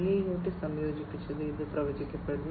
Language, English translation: Malayalam, 0, with the incorporation of IIoT